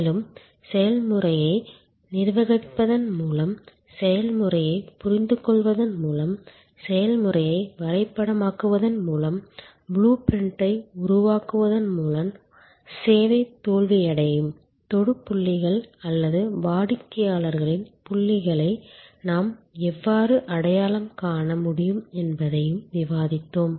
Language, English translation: Tamil, And we also discussed, how by managing the process, the service process by understanding the process flow, by mapping the process, by creating the blue print, how we can identify points, where the touch points where the service may fail or the customer may have confusion and therefore, we can create their suitable communication, that will resolve the challenge